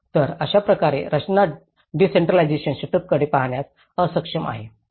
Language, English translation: Marathi, So, this is how the structure has unable to look into a decentralized setup